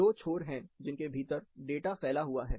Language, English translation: Hindi, There are two extremities, within which the data is spread